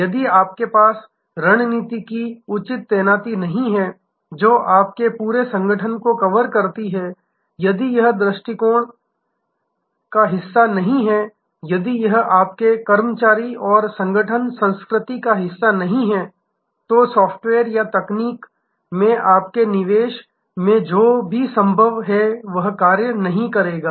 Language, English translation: Hindi, If you do not have a proper deployment of strategy that covers your entire organization, if it is not a part of your attitude, if it is not part of your employee and organization culture, then whatever maybe your investment in software or technology, it will not work